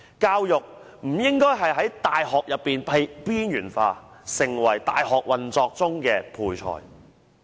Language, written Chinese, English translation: Cantonese, 教育不應在大學內被邊緣化，成為大學運作的配菜。, Education should not be marginalized in universities nor should it become something minor to the university operation